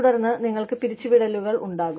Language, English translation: Malayalam, And then, you would have layoffs